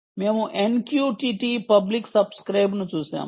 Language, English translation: Telugu, we looked at n q t t public subscribe